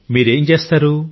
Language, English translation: Telugu, And what do you do